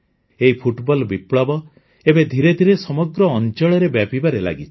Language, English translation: Odia, This football revolution is now slowly spreading in the entire region